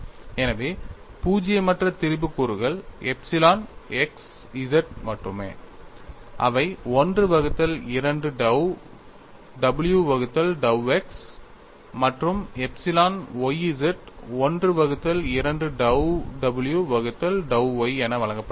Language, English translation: Tamil, So, the non zero strain components are only epsilon xz that is given as 1 by 2 dou w by dou x and epsilon yz is given as 1 by 2 dou w by dou y